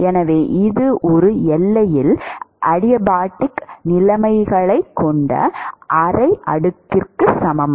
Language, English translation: Tamil, So, this is equivalent to a half slab with adiabatic conditions in one boundary